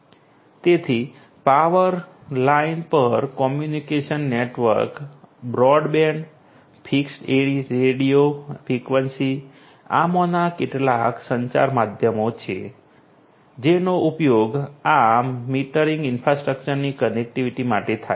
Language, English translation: Gujarati, So, communication network broadband over power line, fixed radio frequency, you know these are some of these communication medium that are used for the connectivity of this metering infrastructure